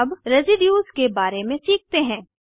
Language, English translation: Hindi, Now, lets learn about Residues